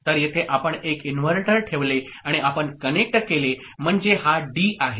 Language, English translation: Marathi, So, here you put an inverter and you connect, so this is D